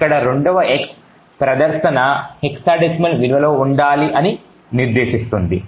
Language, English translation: Telugu, The second x over here specifies that the display should be in hexa decimal values